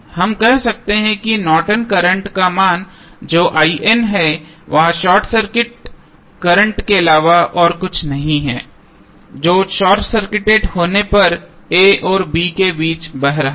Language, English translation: Hindi, We can say that the value of Norton's current that is I N is nothing but the short circuit current across which is flowing between a and b when it is short circuited